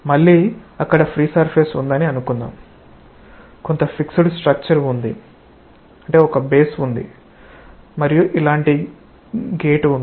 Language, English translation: Telugu, Let us say that there is again a free surface, there is some fixed structure there is a base and there is a gate like this